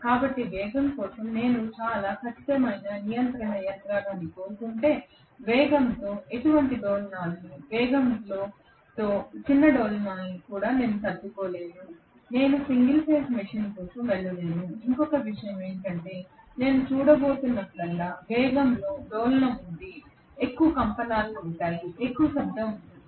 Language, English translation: Telugu, So if I want a very very precise control mechanism for the speed, where I cannot tolerate any oscillations in the speed even small oscillations in the speed I cannot go for single phase machine and another thing is whenever I am going to see there is oscillation in the speed there will be more vibrations, there will be more noise